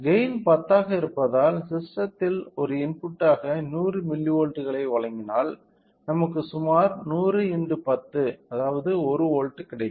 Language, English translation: Tamil, Since a gain of 10 so, if we provide a 100 milli volts as an input to the system we will get approximately of 100 into 10, 1 volt